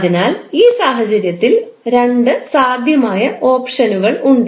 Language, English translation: Malayalam, So in this case there are two possible options